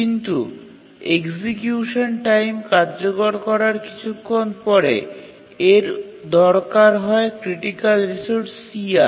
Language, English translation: Bengali, But after some time into the execution it needed the critical resource here